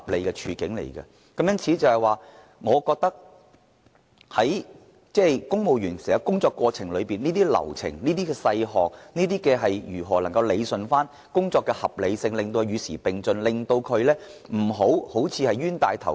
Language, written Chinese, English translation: Cantonese, 因此，公務員在執行工作時，必須注意這些流程和細項，確保政府能夠理順工作的合理性，並且與時並進，避免成為"冤大頭"。, For this reason in carrying out their work civil servants must pay attention to the construction flow process and small items to ensure that the Government is capable of rationalizing the reasonableness of its work and keeping abreast of the times as well as preventing itself from being ripped off